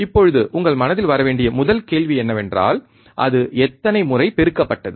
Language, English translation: Tamil, Now, the first question that should come to your mind is, it amplified how many times